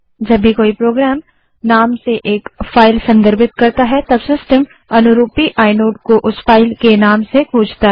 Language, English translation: Hindi, Whenever a program refers to a file by name, the system actually uses the filename to search for the corresponding inode